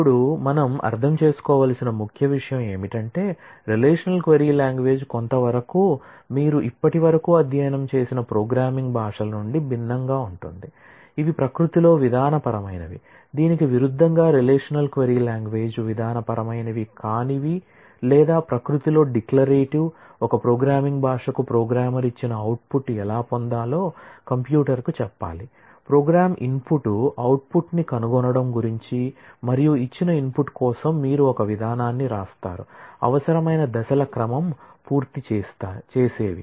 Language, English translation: Telugu, Now, we will have to in this the key thing that we need to understand is the relational query language is somewhat, different from the programming languages that you have studied so far which are procedural in nature, in contrast the relational query language is non procedural or declarative in nature, a procedural programming language requires that the programmer tell the computer how to get the output given, the input a pro program is about finding output, for a given input and you write a procedure, the sequence of steps that need to be done